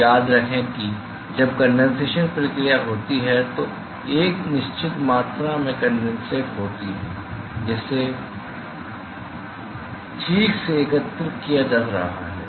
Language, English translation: Hindi, So, remember that when the condensation process occurs there is a certain amount of condensate which is being collected right